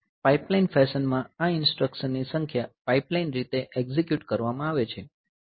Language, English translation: Gujarati, So, in a pipeline fashion, so, number of the instructions is executed in a pipelined way